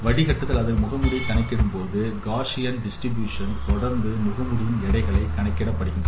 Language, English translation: Tamil, When the filter or the mask is computed, the weights of the mask is computed following a Gaussian distribution